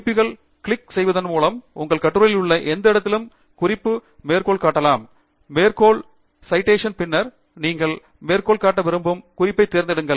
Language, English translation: Tamil, You can now cite a reference at any location in your article by clicking References, Insert Citation, and then, choosing the reference that you want to cite